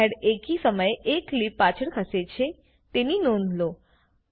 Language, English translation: Gujarati, Notice that the frame head moves backward one clip at a time